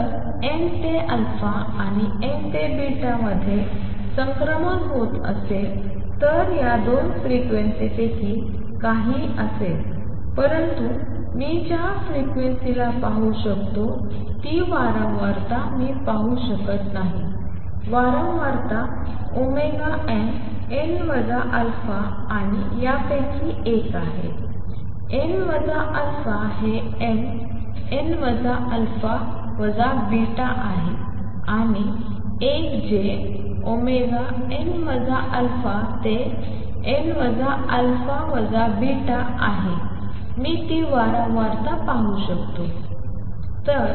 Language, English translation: Marathi, If there is a transition taking place from n to alpha and n to beta this will be the some of these two frequencies, but I cannot see the frequency the frequency that I can however, see is frequency omega n, n minus alpha and one from this is n minus alpha this is n, n minus alpha minus beta and one which is omega n minus alpha to n minus alpha minus beta I can see that frequency